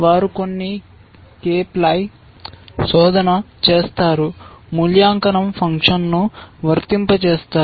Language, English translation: Telugu, They will do some k ply search, apply the evaluation function